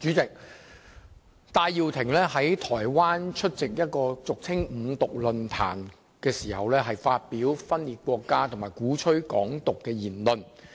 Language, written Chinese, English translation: Cantonese, 主席，戴耀廷在台灣出席一個俗稱"五獨"的論壇時，發表分裂國家和鼓吹"港獨"的言論。, President Benny TAI made remarks advocating secession and Hong Kong independence at a so - called five - independence forum in Taiwan